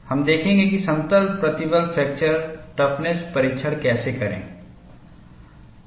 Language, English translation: Hindi, You will see how to do plane stress fracture toughness testing